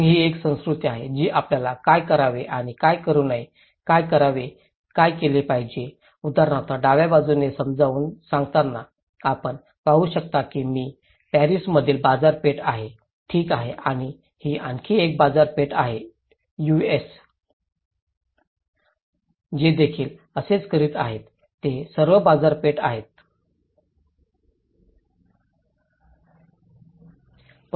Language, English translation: Marathi, Then, this is a culture that tells you what to do and what not to do, doing, being, explaining like for example in the left hand side, you can see that this is a market in Paris, okay and this is another market in US, they are doing the same thing, they all came in a market